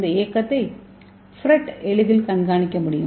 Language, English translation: Tamil, So this motion can be easily monitored by FRET, so what is FRET